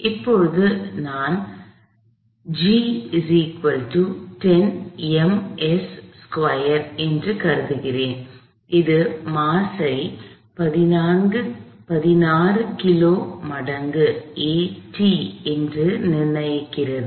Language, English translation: Tamil, I am going to assume like, always g is 10 meters per second squared, which puts the mass at 16 kilograms times a of t